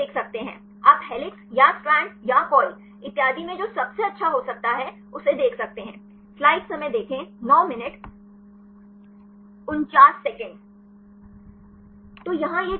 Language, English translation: Hindi, Then we can see from; what you can see the best one this could be in the helix or strand or coil and so on